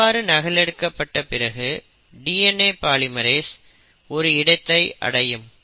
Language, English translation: Tamil, So what happens here is all that DNA polymerase needs is somewhere to start